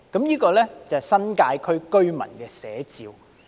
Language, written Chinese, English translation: Cantonese, 這是新界區居民的寫照。, This is a portrayal of residents of the New Territories